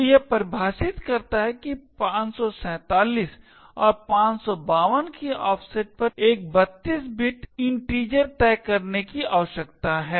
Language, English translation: Hindi, So, it defines it that at an offset of 547 and 552 a 32 bit integer needs to be fixed